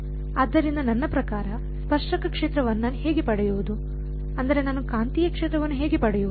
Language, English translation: Kannada, So, how do I get the tangential field I mean, how do I get the magnetic field